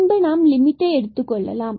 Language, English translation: Tamil, So, if we take the limit here